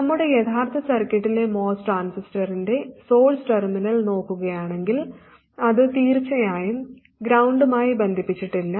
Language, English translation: Malayalam, If you look at the source terminal of the most transistor in our actual circuit, it is certainly not connected to ground